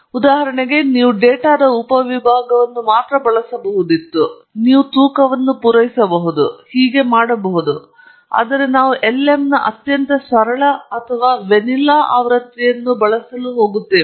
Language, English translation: Kannada, You could, for example, model only using a subset of data, you could supply weights and so on, but we are going to use the most plain or vanilla version of lm